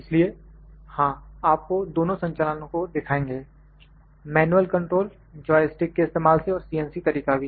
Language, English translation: Hindi, So, we will show you the both operations, the manual control using a joystick and CNC mode as well